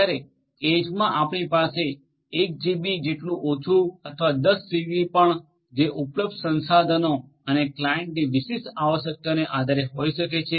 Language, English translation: Gujarati, Whereas, in the edge you may have lesser like 1 GB or it can be even 10 GB depending on the resources that are available and the particular requirements of the client